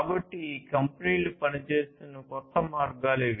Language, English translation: Telugu, So, these are newer ways in which these companies are working